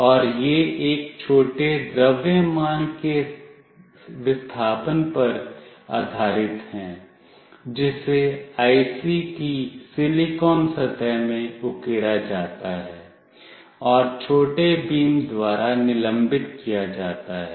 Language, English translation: Hindi, And this is based on displacement of a small mass that is etched into the silicon surface of the IC, and suspended by small beams